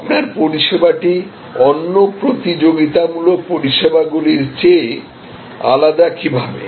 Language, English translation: Bengali, How is your service different from competitive services